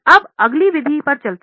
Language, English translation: Hindi, Now let us go to the next method